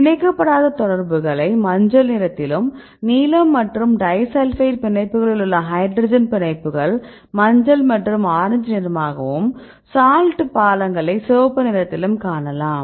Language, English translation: Tamil, You can see non bonded contacts in yellow and the hydrogen bonds in blue and disulfide bonds this is also yellow right this is orange and the salt bridges in red right